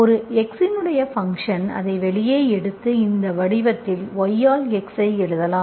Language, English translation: Tamil, Function of one x you take it out, you write y by x in this form